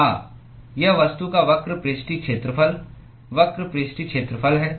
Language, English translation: Hindi, Yes, it is the curved surface area, curved surface area of the object